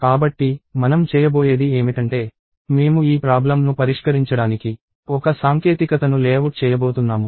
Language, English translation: Telugu, So, what we are going to do is we are; so I am going to layout a technique to solve this problem